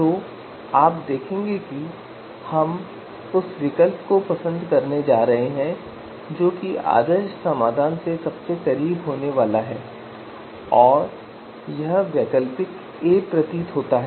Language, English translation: Hindi, So you would see that you know you know we are going to prefer the alternative which is going to be closer to the ideal solutions so it seems to be alternative A